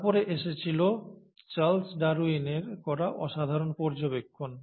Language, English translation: Bengali, Then came the remarkable observations done by Charles Darwin